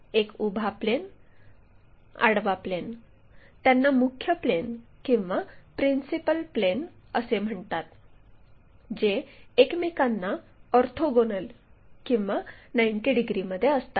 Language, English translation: Marathi, One is our vertical plane, horizontal plane, these are called principle planes, orthogonal to each other